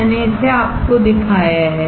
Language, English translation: Hindi, I have shown it to you